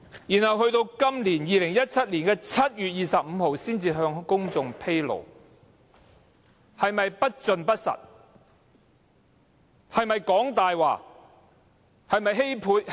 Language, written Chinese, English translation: Cantonese, 然後至今年2017年7月25日才向公眾披露，做法是否不夠老實？, It was not until 25 July this year that the arrangement was finally made public so would it be fair to say that the Government was not being very honest in this respect?